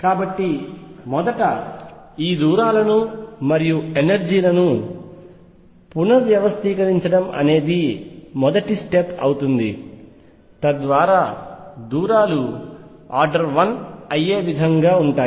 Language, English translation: Telugu, So, number one step one would be to rescale the distances and energies in such a way that the distances become of the order of 1